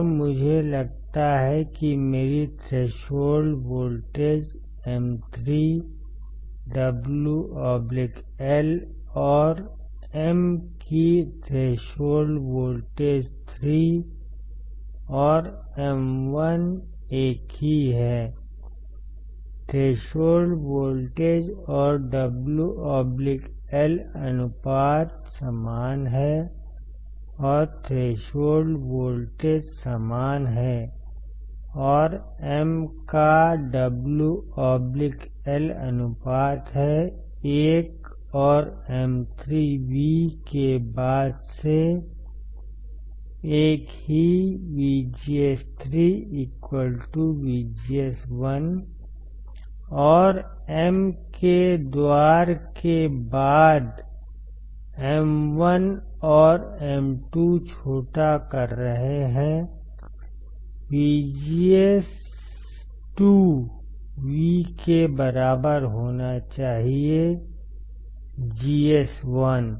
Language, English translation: Hindi, And I assume that my threshold voltage of M 3, W by L and threshold voltage of M 3 and M 1 is same , threshold voltage and W by L ratio are same or threshold voltage is same and W by L ratio is same, of what M1 and M 3 in this case, since VGS 3 equals to VGS1, and since gates of M1 and M 2 are shorted, since M1 and M 2 are shorted; that means, that VGS 2 should be equals to VGS1